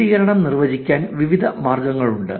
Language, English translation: Malayalam, There can be various ways to define centrality